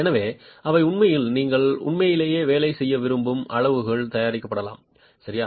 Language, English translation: Tamil, So they can actually be manufactured to sizes that you really want to work with